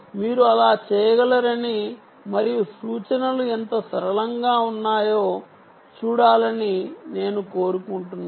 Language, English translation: Telugu, you could do that and see how simple the instructions are